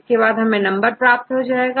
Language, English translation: Hindi, And finally, we get a number